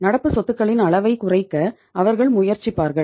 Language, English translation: Tamil, They will try to minimize the level of current assets